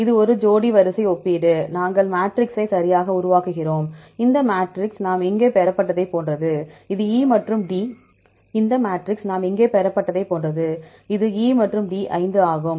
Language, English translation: Tamil, This is a pairwise comparison, we construct the matrix right, this matrix is same as the one we derived here, this one, right the same matrix